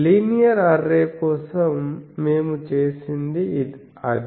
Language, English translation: Telugu, So, the same that we have done for linear array